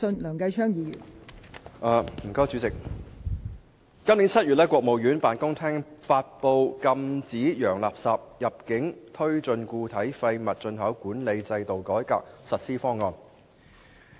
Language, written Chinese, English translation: Cantonese, 代理主席，今年7月，國務院辦公廳發布《禁止洋垃圾入境推進固體廢物進口管理制度改革實施方案》。, Deputy President in July this year the General Office of the State Council promulgated the Implementation Plan for Prohibiting the Entry of Foreign Garbage and Promoting the Reform of Solid Waste Import Management System